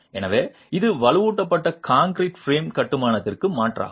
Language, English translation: Tamil, So, this is an alternative to reinforced concrete frame construction